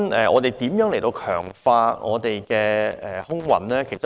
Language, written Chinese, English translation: Cantonese, 我們如何強化我們的空運服務呢？, Nevertheless how are we going to strengthen our aviation services?